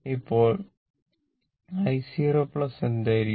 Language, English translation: Malayalam, So, then what will be your i 0 plus